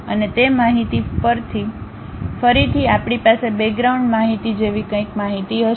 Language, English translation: Gujarati, And those information again we will have something like a background information